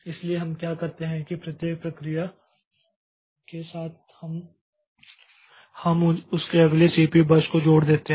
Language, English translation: Hindi, So, what we do for every process with a for, with each process we attach the length of its next CPU burst